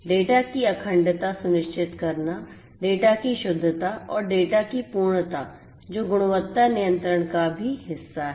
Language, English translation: Hindi, Ensuring integrity of the data, correctness of the data, completeness of the data that is also part of quality control